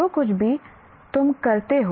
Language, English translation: Hindi, anything that you do